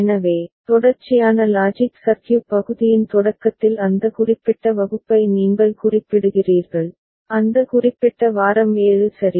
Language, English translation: Tamil, So, you refer to that particular class in the beginning of the sequential logic circuit part, that particular week 7 ok